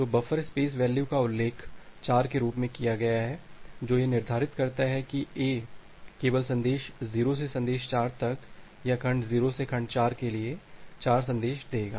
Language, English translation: Hindi, So, the buffer space value is mentioned as 4 that determines that A will only grant 4 messages from message 0 to message 4 or for segment 0 to segment 4